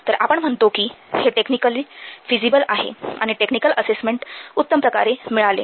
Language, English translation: Marathi, Then we say that it is technically feasible and the technical assessment has been perfectly made